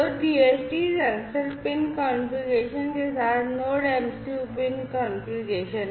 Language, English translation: Hindi, So, Node MCU pin configuration with the DHT sensor pin configuration right